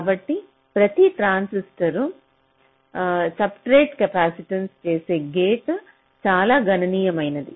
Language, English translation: Telugu, so for every transistor the gate to substrate capacitance is quite substantial